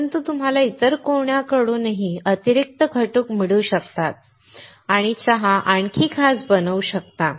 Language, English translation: Marathi, But you may find an extra ingredient in the from someone else, and make the tea even special